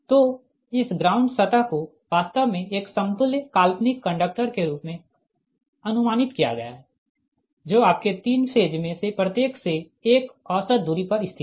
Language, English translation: Hindi, so this ground surface actually is approximated as an equivalent fictitious conductor, located an average distance right from your, what you call from each of the three phase